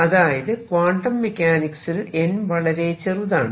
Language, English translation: Malayalam, So, in quantum mechanics n is small